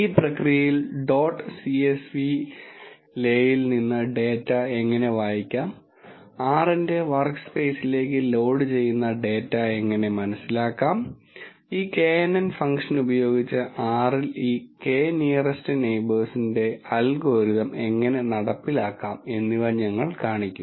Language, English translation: Malayalam, In the process we will show how to read the data from dot csv le, how to understand the data that is being loaded into the workspace of R and how to implement this K nearest neighbours algorithm in R using this knn function